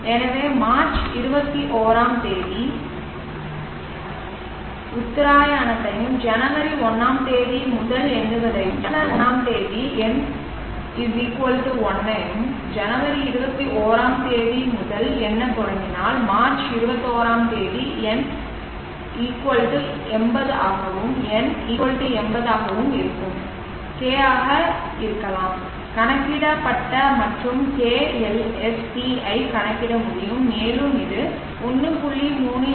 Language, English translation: Tamil, So if we consider March21st equinox and counting from first of Jan n=1 on first off Jan and if you start counting from first of Jan 21st March will turn out to be n=80 and with n=80 K can be calculated and k lsc can be calculated and you can see that it comes out to 1